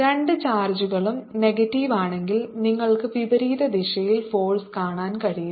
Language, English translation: Malayalam, if the two charges are negative, then you can see the force in the opposite direction